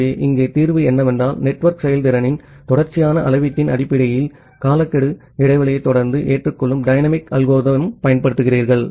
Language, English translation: Tamil, So, the solution here is that you use a dynamic algorithm that constantly adopts the timeout interval, based on some continuous measurement of network performance